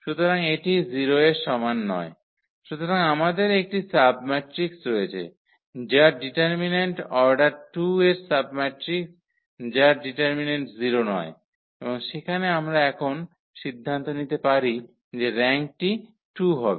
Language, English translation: Bengali, So, we have a submatrix whose determinant the submatrix of order 2 whose determinant is not 0 and there we can decide now the rank has to be 2